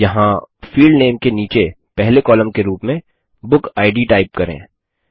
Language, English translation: Hindi, Here, type BookId as the first column under Field Name